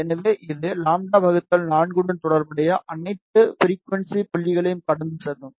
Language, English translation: Tamil, So, it will pass, all the frequency points corresponding to lambda by 4